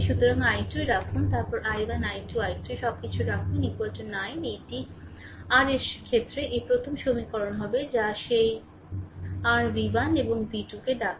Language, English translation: Bengali, So, put i 2 expression I have told you then put i 1 i 2 i 3 everything is equal to 9 this will be the first equation right in terms of your what you call that your v 1 and v 2 right then